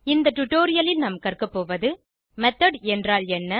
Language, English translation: Tamil, In this tutorial we will learn What is a method